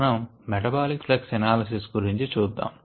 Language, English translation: Telugu, we will look at the principles of metabolic flux analysis next